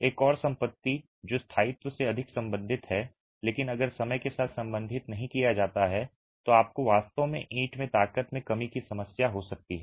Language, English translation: Hindi, Another property which is more related to durability but if not addressed over time you can actually have a problem of strength reduction in the brick